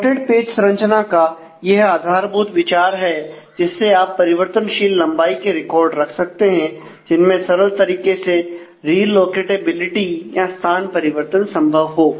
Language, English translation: Hindi, So, that is the basic idea of the slotted page structure, which can allow you to have the variable length record with easy re locatability in the design